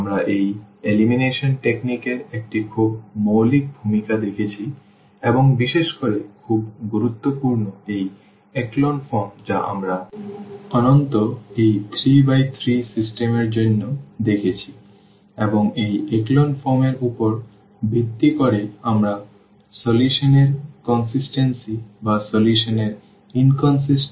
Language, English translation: Bengali, So, what we have seen a very basic introduction to this elimination technique and in particular very important is this echelon form which we have seen at least for this 3 by 3 system and based on this echelon form we can talk about the solution we can talk about the consistency of the solution or inconsistency of the solution